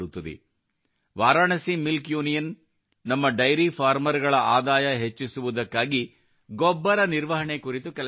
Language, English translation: Kannada, Varanasi Milk Union is working on manure management to increase the income of our dairy farmers